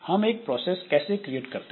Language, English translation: Hindi, Now how do we create a process